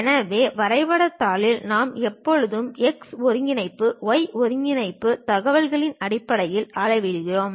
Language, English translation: Tamil, So, on the drawing sheet, we always measure in terms of x coordinate, y coordinate kind of information